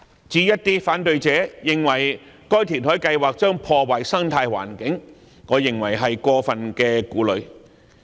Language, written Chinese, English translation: Cantonese, 至於反對者認為該填海計劃將破壞生態環境，我認為是過分顧慮。, In my opinion opponents may be over - worried in saying that the reclamation project will jeopardize the ecological environment